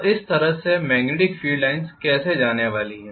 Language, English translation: Hindi, So I am going to have the magnetic field lines going like this right